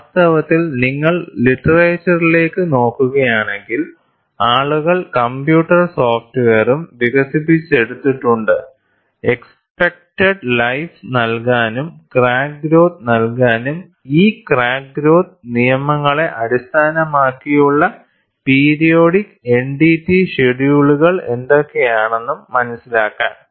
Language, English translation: Malayalam, And in fact, if you look at the literature, people have also developed computer software to give the expected life, to give the crack growth and what are the periodic NDT schedules based on these crack growth laws